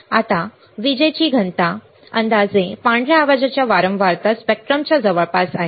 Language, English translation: Marathi, Now, power density is nearly equal to the frequency spectrum approximately the white noise